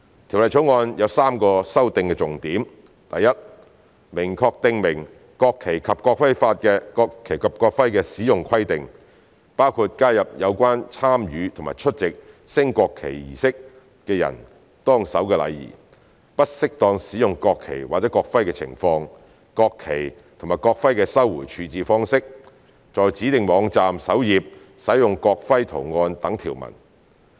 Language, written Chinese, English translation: Cantonese, 《條例草案》有3個修訂重點：第一，明確訂明國旗及國徽的使用規定，包括加入有關參與及出席升國旗儀式的人當守的禮儀、不適當使用國旗或國徽的情況、國旗及國徽的收回處置方式、在指定網站首頁使用國徽圖案等條文。, There are three main amendments in the Bill First making clear the requirements in respect of the use of the national flag and the national emblem including adding provisions to provide for the etiquette to be followed by the persons who take part in or attend a national flag raising ceremony the circumstances at which the national flag or national emblem be used inappropriately the manner of recovery and disposal of the national flags and the national emblems the use of the national emblem design on the home page of designated websites etc